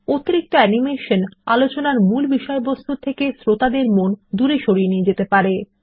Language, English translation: Bengali, Too much animation will take the attention of the audience away From the subject under discussion